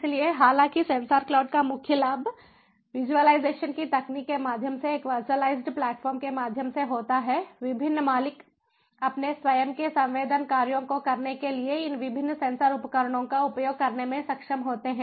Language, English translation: Hindi, so so the, though the main advantage of sensor cloud is, through a virtualized platform, through the technology of visualization, the different owners are able to access these different sensor devices for for performing their own sensing tasks